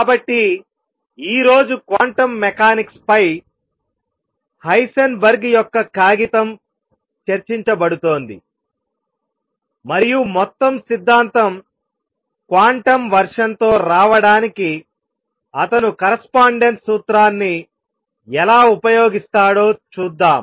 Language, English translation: Telugu, So, that is going to be the topic of discussion today Heisenberg’s paper on quantum mechanics, and how he use correspondence principle to come up with the quantum version of the whole theory